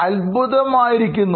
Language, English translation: Malayalam, This is amazing